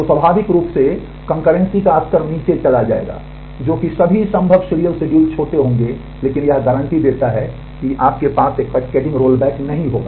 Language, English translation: Hindi, So, naturally the level of concurrency will go down that is all possible serializable schedules will be smaller, but this guarantees that you will not have a cascading roll back